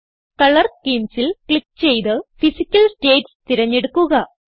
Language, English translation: Malayalam, Click on Color Schemes and select Physical states